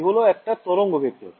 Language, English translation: Bengali, k is a wave vector